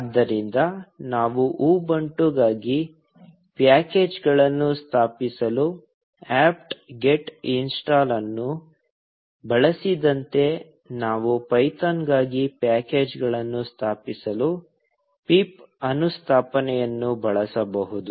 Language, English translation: Kannada, So, just like we used apt get install to install packages for Ubuntu, we can use pip install to install packages for python